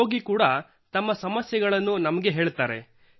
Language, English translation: Kannada, Yes, the patient also tells us about his difficulties